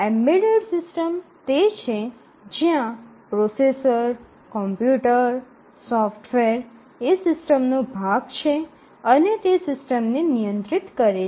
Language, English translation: Gujarati, The embedded systems are the ones where the processor, the computer, the software is part of the system and it controls the system